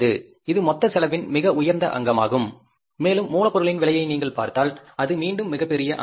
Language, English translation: Tamil, And in the prime cost also, if you look at the cost of raw material, that is again the biggest component